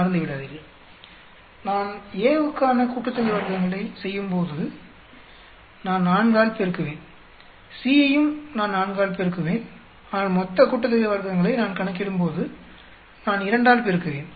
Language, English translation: Tamil, Do not forget, when I am calculating these sum of squares for A I will multiply by 4, C also I multiply by 4, but when I am calculating the total sum of squares, I will be multiplying by 2